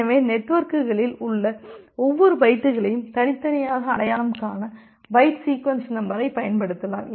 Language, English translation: Tamil, So, that way you can use the byte sequence numbering to individually identify every bytes in the networks